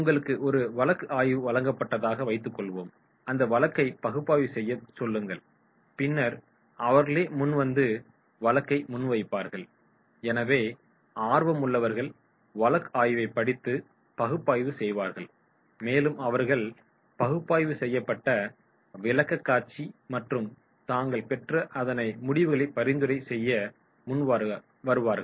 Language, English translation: Tamil, Suppose you are given the case study, ask them to do a case analysis and then come forward and present the case, so those who are interested they will read the case study, they will do the analysis and they will come forward with the presentation and their analysis and results and their recommendations